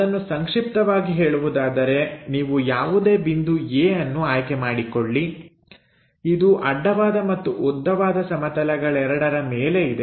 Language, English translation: Kannada, So, to summarize that any point you pick it A which is above both horizontal plane and vertical plane